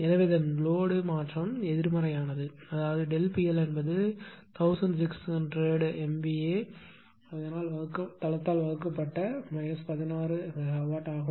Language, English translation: Tamil, So, it load change is negative; that means, delta P L is minus 16 megawatt divided by the 1600 MVA base